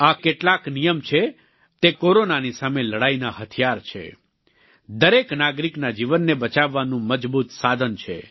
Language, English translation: Gujarati, These few rules are the weapons in our fight against Corona, a powerful resource to save the life of every citizen